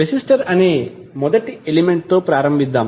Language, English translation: Telugu, So let start with the first element called resistor